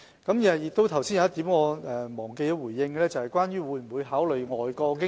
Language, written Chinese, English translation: Cantonese, 我剛才忘記回應一點，就是當局會否考慮外國經驗。, Just now I have forgotten to respond to the point about considering overseas experience